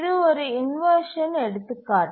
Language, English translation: Tamil, So, this is an example of inversion